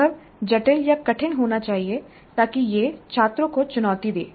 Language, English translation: Hindi, The experience must be complex or difficult enough so that it challenges the students